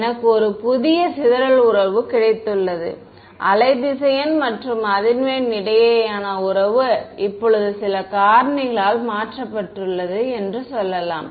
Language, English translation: Tamil, I have got a new dispersion relation, let us just say that right the relation between wave vector and frequency is now altered by some factor right